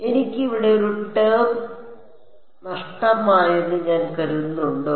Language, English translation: Malayalam, Have I think I have missed a term over here have I